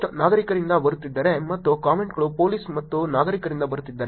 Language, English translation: Kannada, If the post are coming from citizens and the comments are coming from police and citizens